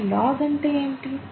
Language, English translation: Telugu, And what is log